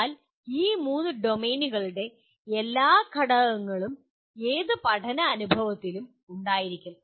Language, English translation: Malayalam, But all the elements of these three domains will be present in any learning experience